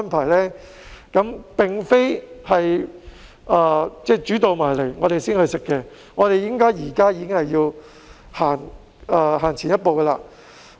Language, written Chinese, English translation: Cantonese, 我們不能"煮到埋嚟先食"，而是現在已經要走前一步。, We cannot afford to tackle problems on the fly . Instead it is high time we took a step forward